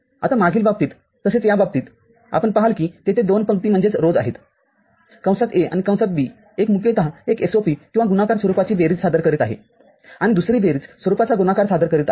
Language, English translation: Marathi, Now, in the previous case as well as in this case you see that there are 2 rows and one is mostly one is representing in a SOP or sum of product form another is representing it in a product of sum forms